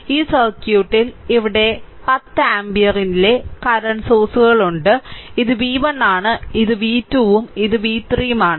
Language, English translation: Malayalam, So, in this circuit in this circuit, you have a you have a current source, here you have a current sources of 10 ampere, right and this is this is v 1 this is v 2 and this is v 3, right